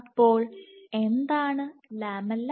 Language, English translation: Malayalam, So, what is the lamella